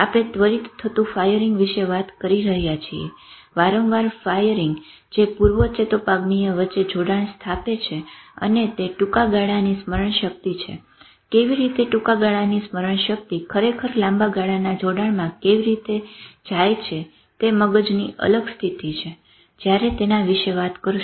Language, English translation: Gujarati, I haven't talked about sleep yet what have we are talking about is the immediate one of firing vis a vis repeated firing which establishes the connection between pre synaptic and that is a short term memory how this short term memory actually goes into long term connection is a different state of mind we will talk about it so it's like it is like this